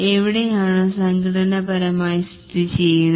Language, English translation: Malayalam, Where are the organizationally located